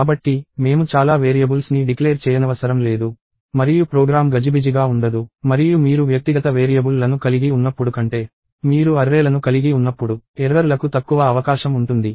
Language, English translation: Telugu, So, I do not have to declare so many variables; and the program does not get clumsy; and there is less scope for errors when you have arrays than when you have individual variables